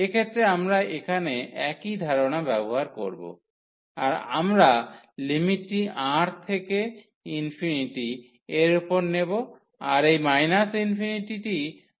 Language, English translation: Bengali, So, in this case we will use the same idea here the limit we will take over R to infinity and this infinity will be replaced by minus R